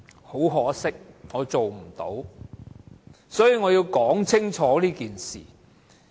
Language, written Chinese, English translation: Cantonese, 很可惜，我做不到，所以我要說清楚這件事。, Regrettably I was unable to do so and therefore I have to make myself clear